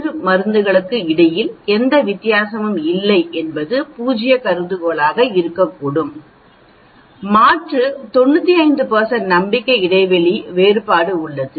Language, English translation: Tamil, So, the null hypothesis could be, there is no difference between the 2 drugs, the alternate there is a difference at a 95 % confidence interval